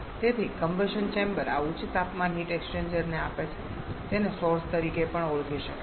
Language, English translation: Gujarati, So, the combustion chamber gives to this high temperature heat exchanger which can also be termed as the source